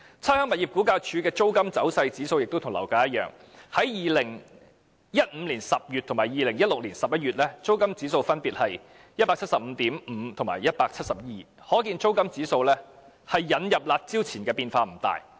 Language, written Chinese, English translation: Cantonese, 差餉物業估價署的租金走勢指數亦與樓價指數相像，在2015年10月及2016年11月，租金指數分別是 175.5 及 172， 可見租金指數在引入"辣招"前變化不大。, The trend of the rental index of RVD is similar to that of the property price index . In October 2015 and November 2016 the rental indices were respectively 175.5 and 172 showing no great change in the rental index before the curb measures were introduced